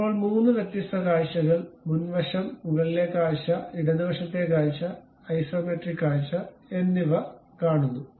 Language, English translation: Malayalam, Now, look at 3 different views, something like the front view, the top view, the left side view and the isometric view